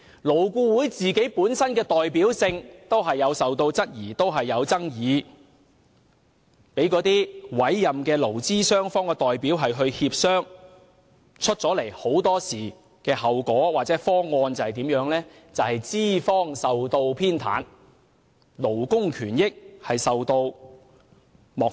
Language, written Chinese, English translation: Cantonese, 勞顧會本身的代表性也備受質疑和爭議，讓委任的勞資雙方代表協商，得出的後果或方案往往是資方受到偏袒，勞工權益受到漠視。, Nonetheless the representativeness of LAB is questionable and debatable as the outcomes of or solutions emerging from negotiations between appointed representatives of employers and employees are often biased in favour of employers to the neglect of labour rights and interests